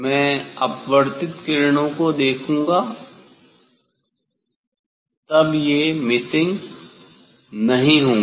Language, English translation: Hindi, I will look at the refracted rays then I will not; it will not be missing